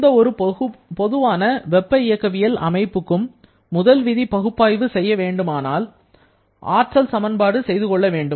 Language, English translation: Tamil, So, we know that for any generalized thermodynamic system if we want to perform a first law analysis, we can write an energy balance or a principle of energy conservation